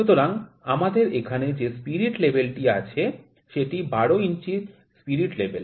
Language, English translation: Bengali, So, this spirit level that we have here is a 12 inch spirit level